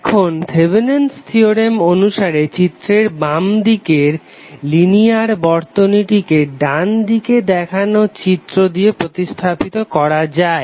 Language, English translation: Bengali, Now according to Thevenin’s theorem, the linear circuit in the left of the figure which is one below can be replaced by that shown in the right